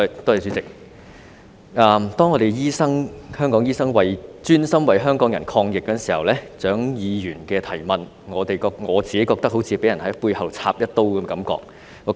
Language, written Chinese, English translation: Cantonese, 當香港醫生專心為港人抗疫，蔣議員的質詢令我有種被人在背後插一刀的感覺。, While Hong Kong doctors are dedicated to fighting against the epidemic for the people Dr CHIANGs question makes me feel like being stabbed in the back